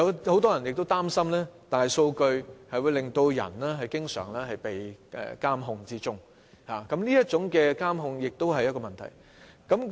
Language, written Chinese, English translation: Cantonese, 很多人擔心大數據令人經常被監控，這是第二種觀點。, Many people are worried that big data subject people to frequent monitoring . It is the second viewpoint